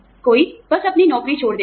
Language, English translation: Hindi, Somebody, just leaves their job